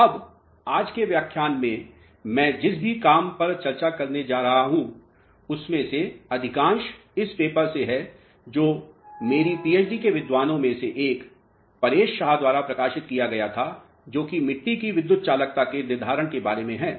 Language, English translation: Hindi, Now, most of the work which I am going to discuss in today’s lecture is from this paper which was published by Paresh Shah one of my PhD scholars a simple methodology for determining electrical conductivity of soils